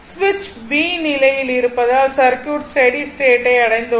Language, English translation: Tamil, So, because switch is in position b and the circuit reached the steady state